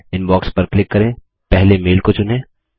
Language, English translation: Hindi, Click on Inbox, select the first mail